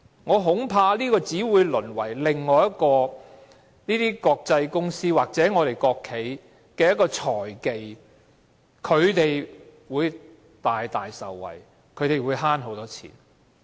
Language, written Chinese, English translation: Cantonese, 我恐怕這只會淪為另一個國際公司或國企的財技，讓他們大大受惠，節省很多金錢。, I am afraid this initiate will only become another financial technique exploited by international companies or state - owned enterprise to reap benefits and save a lot of money